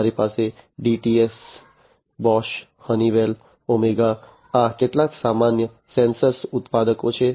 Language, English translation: Gujarati, You have the DTS, Bosch, Honeywell, OMEGA, these are some of the common sensor manufacturers